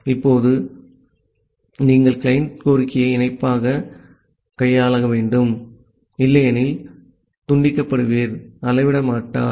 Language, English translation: Tamil, Now if that is the case, then you have to handle the client request in parallel, otherwise the sever will not scale up